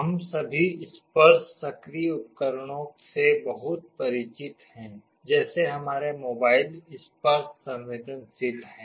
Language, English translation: Hindi, We are all familiar with many of the touch activated devices, like our mobiles are touch sensitive